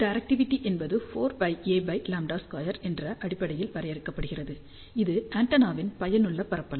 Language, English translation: Tamil, Directivity is also defined in terms of 4 pi A divided by lambda square, where this is effective area of the antenna